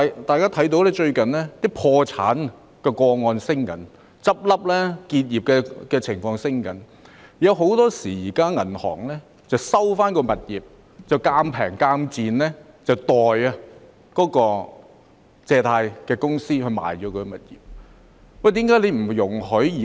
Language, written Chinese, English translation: Cantonese, 大家看到最近的破產個案正在上升，結業的情況亦正在增加，很多時候銀行會收回物業再以賤價代借貸公司沽售物業。, We notice bankruptcies have been on the rise recently and businesses that have wound up are also increasing . Banks would often take over their mortgaged properties and sell them at low prices on behalf of the mortgager